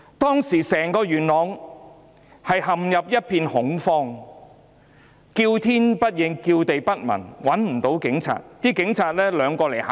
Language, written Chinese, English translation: Cantonese, 當時整個元朗陷入一片恐慌，叫天不應、叫地不聞，市民找不到警察。, At that time the entire Yuen Long had plunged into panic and no matter how people screamed and shouted for help there were no signs of police officers